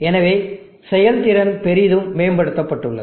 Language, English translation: Tamil, And therefore, efficiency is greatly improved